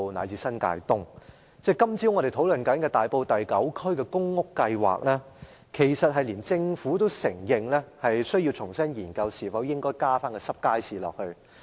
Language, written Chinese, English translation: Cantonese, 有關今早討論的大埔第9區公屋計劃，即使政府也承認需要重新研究是否應該加入濕貨街市。, Regarding the public housing developments in Area 9 of Tai Po discussed this morning even the Government admits that it is necessary to reconsider whether wet goods markets should be added to the plan